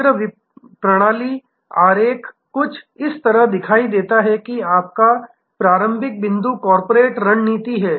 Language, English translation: Hindi, The overall system diagram will look something like this, that your starting point is corporates strategy